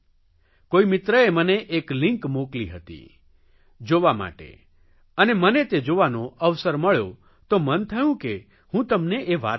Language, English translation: Gujarati, Some friend of mine had sent me a link and I had the opportunity to see it